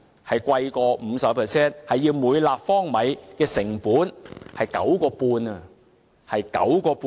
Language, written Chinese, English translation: Cantonese, 是高於 50%， 每立方米的成本是 9.5 元，是 9.5 元。, It is 50 % more as the unit cost for the Dongjiang water is 9.5 per cubic meter . It is 9.5